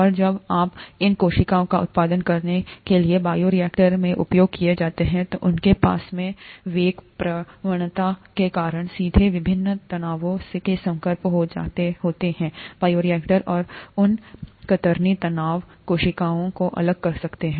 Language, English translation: Hindi, And when you, when these cells are used in the bioreactor for production of these, they have, they are directly exposed to the various stresses because of the velocity gradients in the bioreactor and those shear stresses can break the cells apart